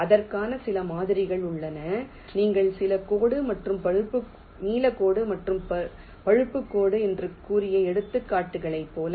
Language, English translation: Tamil, there are some models for that, also, like the examples that we have said: the blue line and the brown line